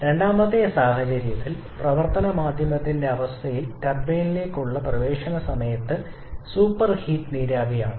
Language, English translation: Malayalam, In the second case, at the entry to the turbine in the state of the working medium is that of superheated vapour